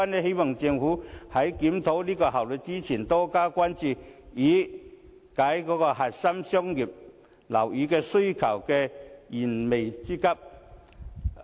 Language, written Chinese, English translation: Cantonese, 希望政府在檢討規劃效率時能多加關注，以解核心商業區商業樓宇需求的燃眉之急。, I hope that the Government will pay more attention when reviewing its planning efficiency so as to address the pressing demand for commercial buildings in core business districts